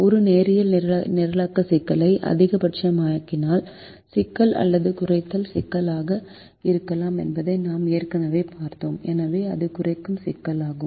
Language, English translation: Tamil, we have already seen that a linear programming problem can be either a maximization problem or a minimization problem